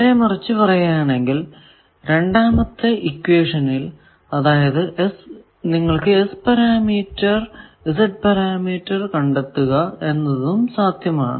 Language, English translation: Malayalam, On the other hand, this we have say that the second equation that is if you know S parameter, you can find Z